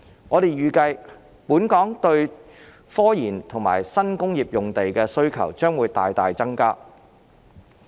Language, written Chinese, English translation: Cantonese, 我們預計，本港對科研和新工業用地的需求將會大大增加。, We anticipate a significant increase in the demand for sites for research and development RD and new industrial uses in Hong Kong